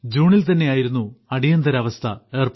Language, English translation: Malayalam, It was the month of June when emergency was imposed